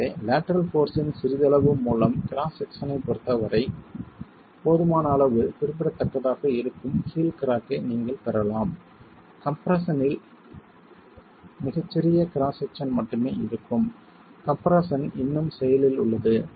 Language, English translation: Tamil, So, with a little bit of lateral force you can get the heel cracking that is going to be significant enough with respect to the cross section, leaving only a very small cross section in compression, still active in compression